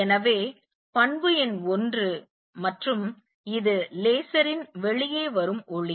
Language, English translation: Tamil, So, property number 1 and this light which is coming out this laser